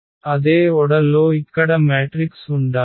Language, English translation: Telugu, So, there should be a matrix here of the same order